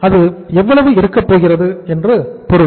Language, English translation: Tamil, So it means how much it is going to be